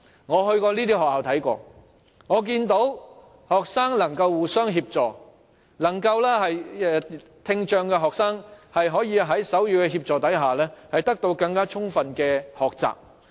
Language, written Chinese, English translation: Cantonese, 我曾到過這些學校，看到學生能互相協助，聽障學生可在手語協助下獲得更充分的學習。, I have visited some schools . I could see that their students could help each other out and students with hearing impairment could learn effectively with the help of sign language